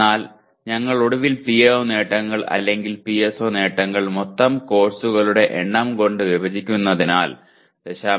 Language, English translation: Malayalam, But because we are finally dividing the PO attainments or PSO attainments by the total number of courses so 0